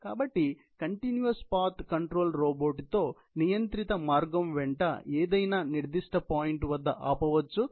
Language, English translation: Telugu, So, with the continuous path control, the robot can stop at any specified point along the controlled path